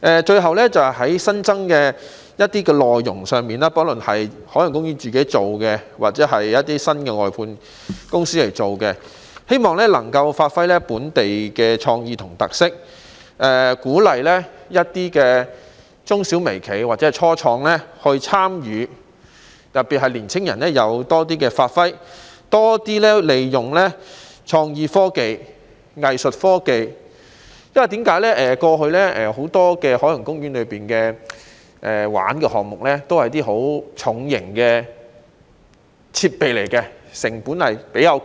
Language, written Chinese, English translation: Cantonese, 最後，在一些新增內容上，不論是由海洋公園自己還是新的外判公司負責，也希望能發揮本地創意和特色，鼓勵中小微企或初創人士參與，特別是讓年輕人可以有更多發揮機會，並且要多利用創意科技和藝術科技，因為過去海洋公園有很多遊玩項目都是十分重型的設備，成本偏高。, Lastly regarding the new items no matter whether they are under the charge of Ocean Park itself or under the new contractors I hope they can give play to local creativity and characteristics and encourage the participation of micro small and medium - sized enterprises or start - ups . In particular young people should be given more opportunities to give play to their talent . Moreover there is the need to make more use of creative technology and arts technology because in the past many of the attractions in Ocean Park involved heavy equipment at high costs